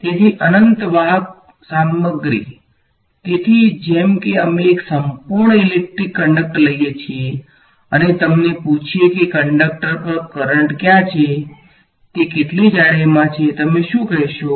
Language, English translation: Gujarati, So, infinitely conductive material right; so, in a like we take a perfect electric conductor and ask you where is the current on the conductor, in how much thickness is it in, what would you say